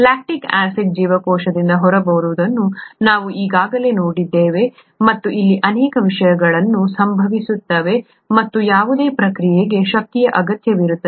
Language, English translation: Kannada, We already saw lactic acid going out of the cell and so many things happen there and any process requires energy